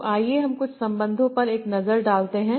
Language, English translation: Hindi, So, let us have a look at some of the relations